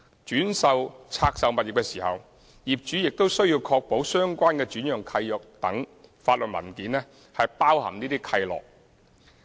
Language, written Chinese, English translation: Cantonese, 轉售拆售物業時，業主亦須確保相關的轉讓契約等法律文件包含這些契諾。, Owners shall also ensure that the restrictive covenants are incorporated in the relevant legal documents such as assignment deeds etc in the event of further disposal of these divested properties